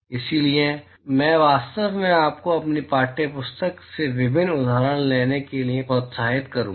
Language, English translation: Hindi, So, I really encourage you to take different examples from your textbook